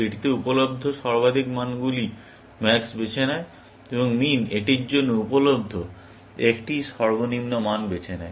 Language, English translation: Bengali, Max chooses the maximum of the values, available to it, and min chooses a minimum of the values, available to it